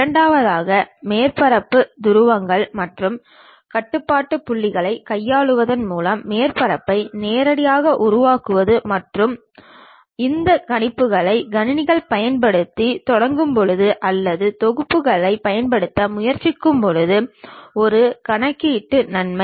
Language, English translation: Tamil, The second one is direct creation of surface with manipulation of the surface poles and control points and a computational advantage when people started using these computers or trying to use packages